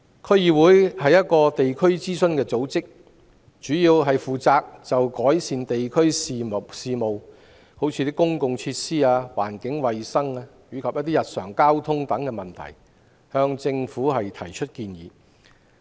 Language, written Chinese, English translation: Cantonese, 區議會是一個地區諮詢組織，主要負責就地區事務，例如公共設施、環境衞生、交通等向政府提出建議。, DC is a district advisory body mainly responsible for advising the Government on district issues including public facilities environmental hygiene and transport